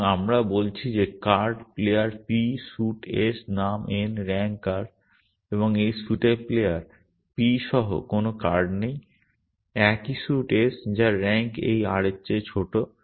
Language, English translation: Bengali, So, we are saying that card, player p, suite s, name n, rank r and there is no card with this player p of this suit, same suit s whose rank is smaller than this r